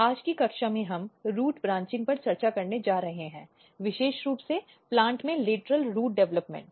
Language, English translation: Hindi, In today’s class we are going to discuss Root Branching particularly Lateral Root Development in plants